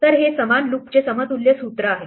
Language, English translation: Marathi, So, this is the equivalent formulation of the same loop